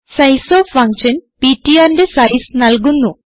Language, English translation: Malayalam, Sizeof function will give the size of ptr